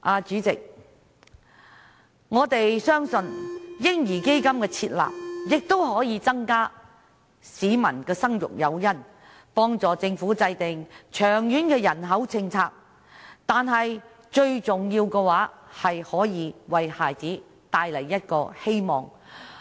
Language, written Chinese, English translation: Cantonese, 主席，我們相信"嬰兒基金"的設立亦可增加市民的生育誘因，幫助政府制訂長遠的人口政策，但最重要的是為孩子帶來希望。, President we believe that setting up a baby fund can also serve as an additional incentive to encourage people to give birth and help the Government formulate a long - term population policy . But most importantly it can bring hope to our children